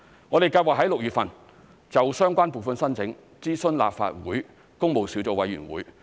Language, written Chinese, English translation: Cantonese, 我們計劃在6月份就相關撥款申請諮詢立法會工務小組委員會。, We plan to consult the Public Works Subcommittee of the Legislative Council on the funding application in June